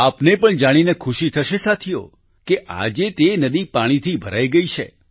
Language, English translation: Gujarati, Friends, you too would be glad to know that today, the river is brimming with water